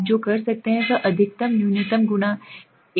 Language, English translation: Hindi, What you can do is maximum minimum multiplied by 1